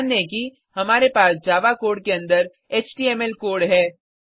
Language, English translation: Hindi, Notice that, we have HTML code inside the Java code